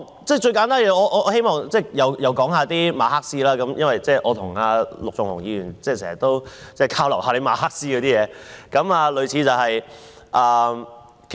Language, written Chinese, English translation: Cantonese, 最簡單的一點，我希望再次提及馬克思，我與陸頌雄議員經常交流馬克思的東西。, Again I wish to cite Karl MARX for a simple illustration . Mr LUK Chung - hung and I often exchange views on Marxism